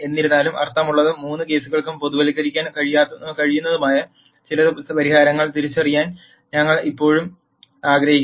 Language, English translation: Malayalam, However we still want to identify some solution which makes sense and which we can generalize for all the three cases